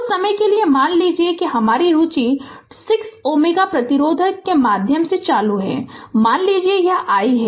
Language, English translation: Hindi, Say for the time being, our interest is current through 6 ohm resistance say your this i